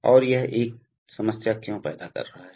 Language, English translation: Hindi, And why this is creating a problem